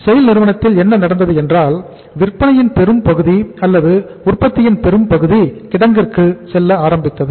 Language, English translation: Tamil, What started happening with the SAIL that major chunk of their sales or their production started going to the warehouse